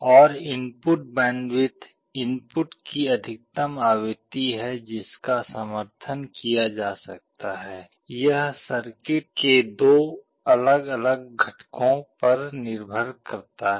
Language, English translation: Hindi, And input bandwidth is the maximum frequency of the input that can be supported, it depends on two different components of the circuit